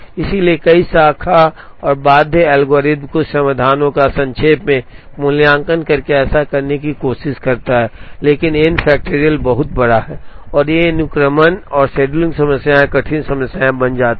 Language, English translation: Hindi, So, several branch and bound algorithms, try to do that by implicitly evaluating some of the solutions, but n factorial is very large and these sequencing and scheduling problems become hard problems